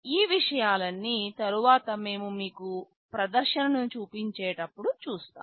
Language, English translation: Telugu, All these things we shall see later when we show you the demonstration